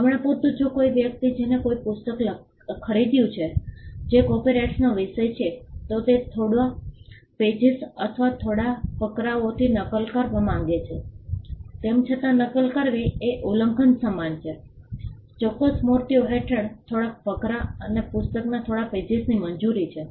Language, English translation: Gujarati, For instance, if a person who has purchased a book which is the subject matter of a copyright wants to copy a few pages or a few paragraphs from though copying would amount to an infringement, a few paragraphs or a few pages from a book is allowed under certain statues